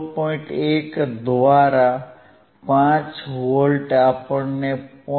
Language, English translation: Gujarati, Tthat means, 5 volts by 0